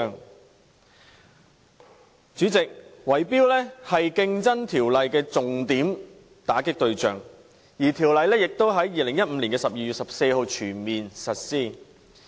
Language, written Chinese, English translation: Cantonese, 代理主席，圍標是《競爭條例》的重點打擊對象，而《條例》亦已在2015年12月14日全面實施。, Deputy President a key focus of the Competition Ordinance is to fight bid - rigging and the Ordinance has been fully brought into effect since 14 December 2015